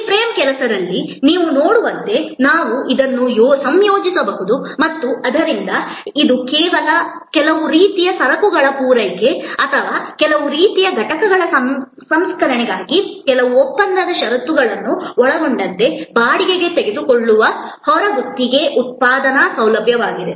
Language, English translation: Kannada, Again as you can see with in this frame work, we can combine this and therefore, this can be kind of an outsourced manufacturing facility taken on rent including certain contractual conditions for supply of certain types of goods or processing of certain kind of components and so on